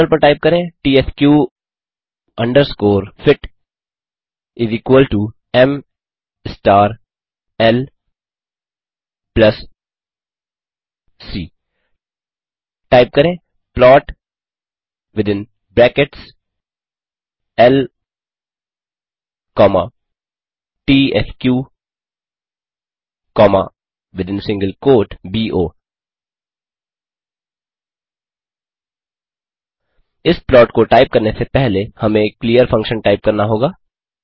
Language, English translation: Hindi, tsq underscore fit = m star l plus c Type plot within brackets l comma tsq comma within single quote bo Before typing that plot we have to type clear function